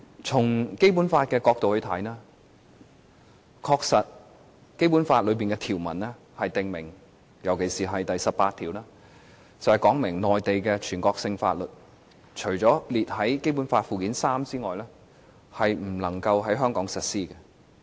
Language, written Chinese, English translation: Cantonese, 從《基本法》的角度來看，《基本法》的條文特別是第十八條訂明，全國性法律除列於《基本法》附件三外，不能在香港實施。, Let us look at the issue from the perspective of the Basic Law . Article 18 of the Basic Law along with other provisions provides that no national laws shall be applied in Hong Kong except for those listed in Annex III